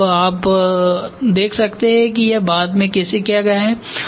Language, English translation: Hindi, And now you can see how it is done after ok